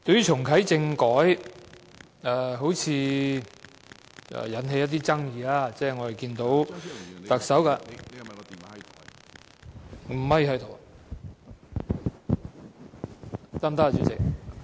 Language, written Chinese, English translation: Cantonese, 重啟政改好像引起了一些爭議，我們看到特首......, This subject seems to have aroused much controversy . We notice the Chief Executive